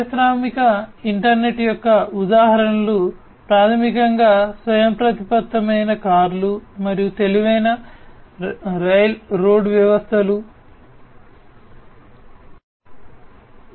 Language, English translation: Telugu, Examples of industrial internet are basically outcomes such as having autonomous cars, intelligent railroad systems and so on